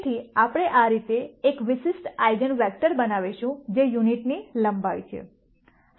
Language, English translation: Gujarati, So, that way we make this a specific eigenvector which is unit length